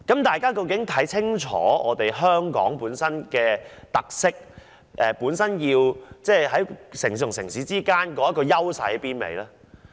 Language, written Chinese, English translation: Cantonese, 大家究竟是否清楚香港本身的特色，以及在各城市中有何優勢呢？, Are Members clear about Hong Kongs characteristics and its strengths among various cities?